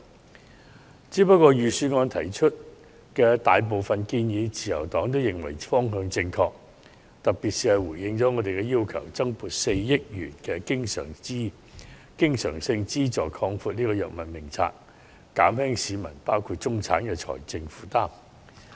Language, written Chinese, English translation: Cantonese, 不過，自由黨認為預算案提出的大部分建議都方向正確，回應了我們的訴求，特別是增撥4億元經常性資助擴闊藥物名冊，減輕市民，包括中產的財政負擔。, Nonetheless the Liberal Party considers that most of the proposals put forward in the Budget are geared in the right direction and they are made in response to our demands . In particular an additional recurrent subvention of 400 million will be provided to expand the scope of the Drug Formulary to reduce the financial burden of the general public including that on the middle class